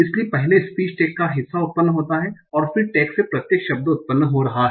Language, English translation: Hindi, So first the part of speech tax are generated and then the tags are giving each individual word